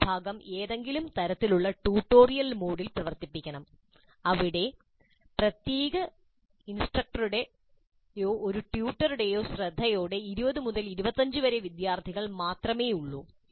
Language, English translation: Malayalam, So this part of it must be run in some kind of a tutorial mode where there are only about 20 to 25 students with the care of one particular instructor or one tutor